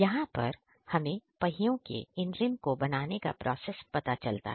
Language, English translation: Hindi, Here we come to know about the manufacturing process of these wheel rims